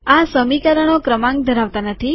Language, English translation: Gujarati, These equations dont have numbers